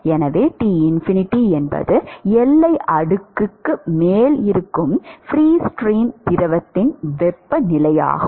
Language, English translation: Tamil, So T Tinfinity is the temperature of the free stream fluid which is above the boundary layer